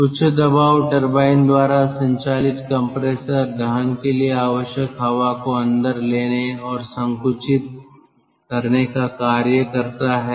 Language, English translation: Hindi, the compressor, driven by the high pressure turbine, serves to take in and compress the air needed for combustion inside the six combustion chambers